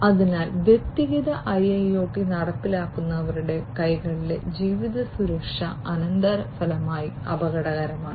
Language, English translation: Malayalam, So, living security at the hands of the individual IIoT implementers is consequently dangerous